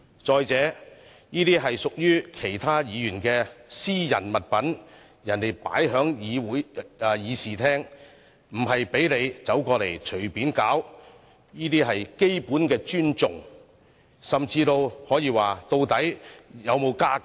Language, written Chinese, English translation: Cantonese, 再者，這些是屬於其他議員的私人物品，人家放在議事廳，不是讓他隨意走過來搗亂，這些是基本的尊重，甚至可以說，究竟他有沒有家教？, Moreover these are the personal belongings of other Members . They were placed in this Chamber not for him to mess up with wantonly . This is basic respect and to put it bluntly did his parents not teach him good manners?